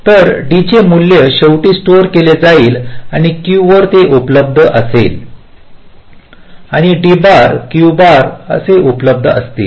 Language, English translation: Marathi, so the value of d will ultimately be stored and will be available at q and d bar will be available at q bar